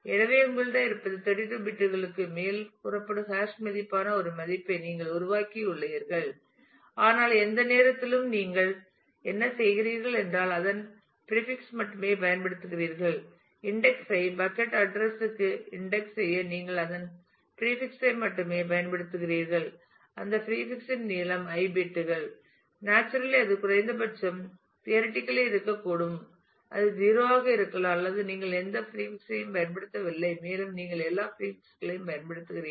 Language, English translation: Tamil, So, what you have is you have generated a value which is hash value which is say over 32 bits, but what you do at any time you use only a prefix of that; you only use a part frontal part of that to index the table to the bucket address and the length of that prefix is i bits; then naturally it could be at least theoretically it could be 0 that is you do not use any prefix and it could be up to that you use all the prefixes